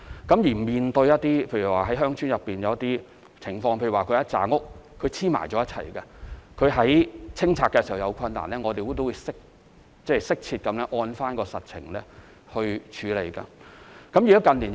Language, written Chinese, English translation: Cantonese, 在面對鄉村內的一些情況時，例如數幢房屋連着興建，在清拆僭建物時有困難，我們都會適切按照實情而作出處理。, In villages there may be some special situations such as adjourning small houses . Facing the difficulties in removing the UBWs we take appropriate actions according to the actual situations